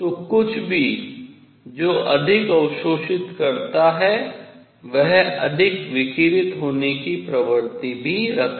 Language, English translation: Hindi, So, something that absorbs more will also tend to radiate more